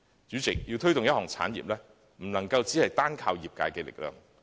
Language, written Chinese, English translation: Cantonese, 主席，要推動一項產業，不能單靠業界的力量。, President we cannot rely solely on industry practitioners to promote an industry